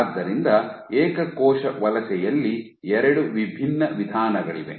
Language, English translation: Kannada, So, there are two different modes of single cell migration